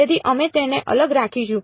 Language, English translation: Gujarati, So, we will just keep it separate